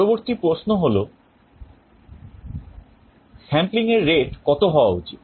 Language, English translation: Bengali, The next question is what should be the rate of sampling